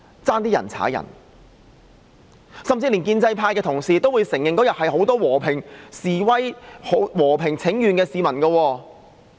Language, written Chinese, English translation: Cantonese, 在當日的集會上，連建制派的同事也會承認很多都是和平示威請願的市民。, As regards the assembly that day even Honourable colleagues from the pro - establishment camp admitted that many of them were citizens holding a peaceful demonstration and petition